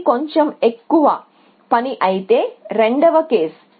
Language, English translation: Telugu, So, which is a little bit more work then case 2